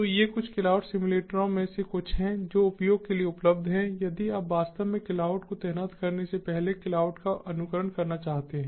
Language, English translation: Hindi, so these are some of the some of the cloud simulators that are available for use if you want to simulate cloud before actually deploying cloud